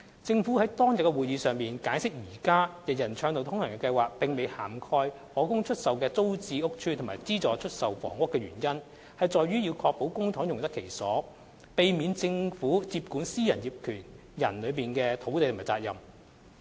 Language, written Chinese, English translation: Cantonese, 政府於當日的會議上解釋現時"人人暢道通行"計劃並未涵蓋可供出售的租置屋邨及資助出售房屋的原因在於要確保公帑用得其所，避免政府接管私人業權人的土地及責任。, The Government has explained at the Panel meeting that day that the reasons for not including TPS estates and subsidized sale flats under the UA Programme were to ensure the proper use of public funds and to avoid the Government taking over land and relevant responsibility from private owners